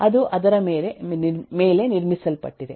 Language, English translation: Kannada, It is build on top of that